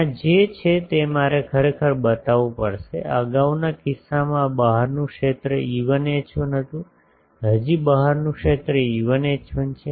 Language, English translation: Gujarati, What is there I will have to show that actually ; still previous case this outside field was E1 H1 now also outside field is E1 H1